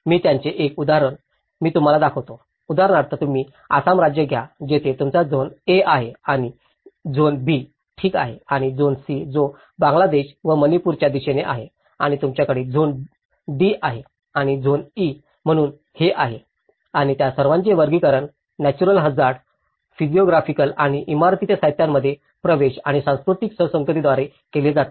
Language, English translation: Marathi, I will show you one example of it, for example, you take the Assam state where you have the zone A is here and the zone B okay and the zone C which is towards the Bangladesh and the Manipur side of it and you have the zone D and zone E, so this is how and they are all classified by vulnerability to natural hazards, physiographic and access to building materials and the cultural compatibility